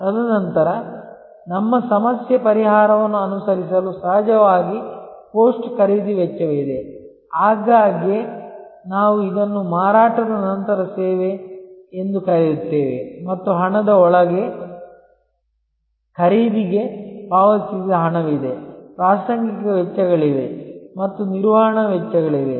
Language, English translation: Kannada, And then, there are of course post purchase cost with respect to follow our problem solving, often we call this after sale service and so on and within money, there is a money paid for the purchase, there are incidental expenses and there are operating costs